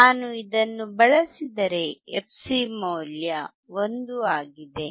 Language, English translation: Kannada, If I use this, value of fc is 1